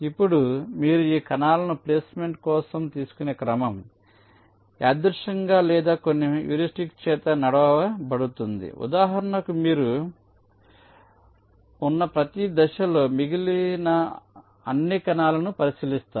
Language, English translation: Telugu, now, the order in which you take these cells for placement: it can be either random or driven by some heuristics, like, for example, ah mean at every stage you have been, you consider all the remaining cells